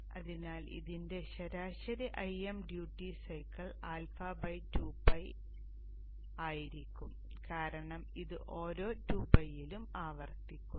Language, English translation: Malayalam, So therefore the average for this is IM duty cycle will be alpha by not pi but alpha by 2 pi because this repeats every 2 pi